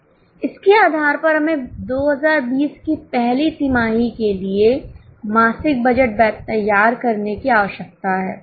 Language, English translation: Hindi, Based on this, we need to prepare monthly budget for the quarter, first quarter 2020